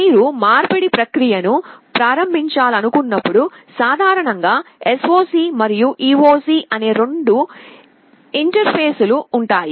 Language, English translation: Telugu, And whenever you want to start the process of conversion, there are typically two interfaces, SOC and EOC